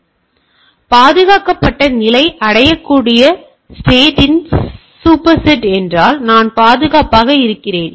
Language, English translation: Tamil, So, if the secured state is a super set of the reachable state, then I am secure